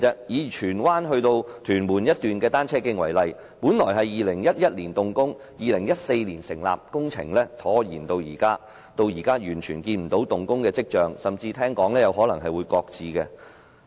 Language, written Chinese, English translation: Cantonese, 以荃灣至屯門的一段單車徑為例，本應於2011年動工 ，2014 年建成，但工程拖延至今，現時完全沒有動工的跡象，聽聞甚至有可能會擱置。, In the case of the cycle track from Tsuen Wan to Tuen Mun for example its construction should have commenced in 2011 and completed in 2014 . But the works project has been delayed without any signs of works commencement whatsoever at present . I have even heard of the possible shelving of the project